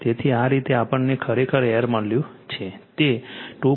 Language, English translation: Gujarati, So, this way actually your L we have got that is your 2